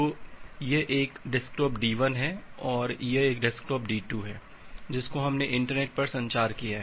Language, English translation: Hindi, So, this is one desktop D1 this is another desktop D2 we have communicate over the internet